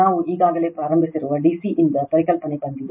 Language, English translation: Kannada, Concept is from that D C we have already started